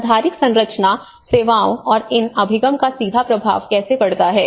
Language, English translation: Hindi, Infrastructure and services and how it have a direct implication of these access